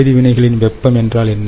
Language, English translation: Tamil, what is heat of reaction